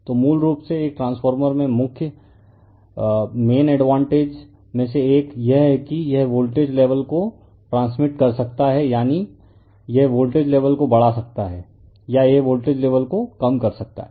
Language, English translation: Hindi, So, basically in a transformer that one of the main advantages is that that it can transmit the voltage level that is it can increase the voltage level or it can you what you call decrease the voltage level